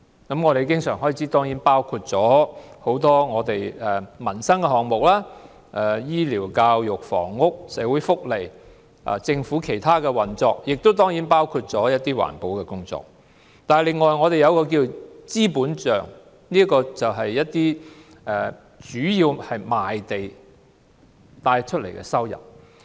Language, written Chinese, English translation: Cantonese, 經常開支包括不少民生項目，例如醫療、教育、房屋、社會福利及政府其他運作，當然也包括一些環保工作；二是資本帳，主要來自賣地的收入。, Recurrent expenditure includes a number of livelihood items such as health care education housing social welfare and other operations of the Government . It certainly also includes environmental work . The other one is the capital account the revenue of which mainly comes from land sales